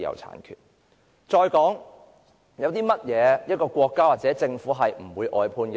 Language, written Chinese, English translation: Cantonese, 還有甚麼是不容許國家或政府外判的呢？, What else cannot be outsourced by a country or government?